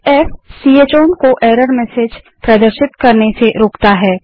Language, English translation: Hindi, f: Prevents ch own from displaying error messages